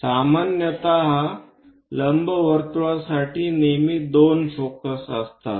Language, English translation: Marathi, Usually, for ellipse, there always be 2 foci